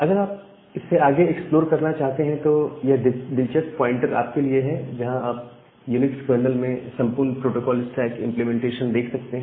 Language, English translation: Hindi, So, interestingly just a pointer for you to explore further that you can look into this entire protocol stack implementation inside a UNIX kernel